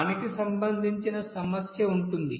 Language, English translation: Telugu, So there will be a issue for that